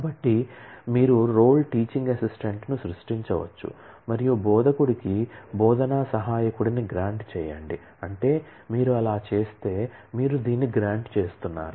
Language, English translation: Telugu, So, you can create role teaching assistant and grant teaching assistant to instructor, which means that if you do that you are granting this